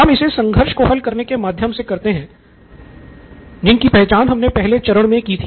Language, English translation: Hindi, You do this via solving the conflict that you identified earlier stages